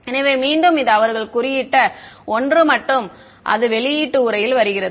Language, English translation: Tamil, So, again this is something that they have coded and output comes in text